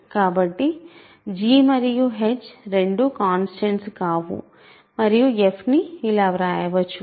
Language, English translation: Telugu, So, both g and h are non constants and f can be written like this